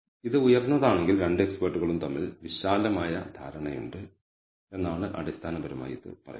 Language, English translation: Malayalam, This basically says if this is high then there is broad agreement between the two experts right